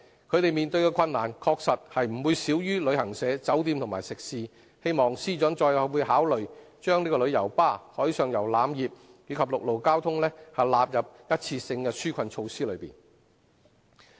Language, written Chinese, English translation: Cantonese, 他們所面對的困難確實不會少於旅行社、酒店和食肆，希望司長再次考慮把旅遊巴士、海上遊覽業及陸路交通，納入一次性的紓困措施內。, The hardship faced by these trades and industries certainly does not compare less favourably than that faced by travel agents hotels and restaurants and it is hoped that the Financial Secretary would reconsider the proposal of extending the one - off relief measures to cover tour coach operators marine tourism and the land transport sector